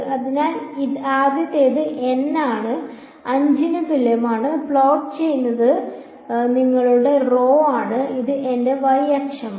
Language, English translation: Malayalam, So, the first one is N is equal to 5 and what is being plotted is your rho as a function of this is my y axis